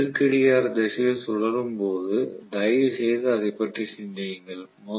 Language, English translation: Tamil, So when it is rotated in anti clock wise direction please think about it